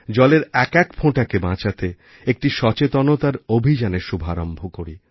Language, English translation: Bengali, Let us start an awareness campaign to save even a single drop of water